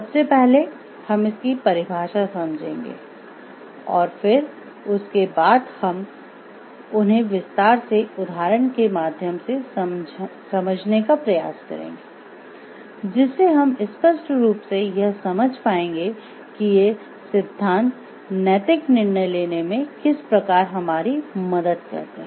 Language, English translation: Hindi, First we will go through the definition of it and then we will have a detailed, then we will have a detailed discussion about these theories with examples which will give us a clear idea of how these theories help us in ethical decision making